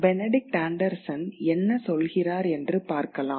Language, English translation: Tamil, So, let us look at what Benedict Anderson has to say